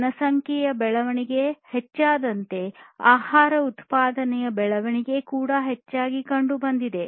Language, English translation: Kannada, So, there was growth of food production as the population growth increased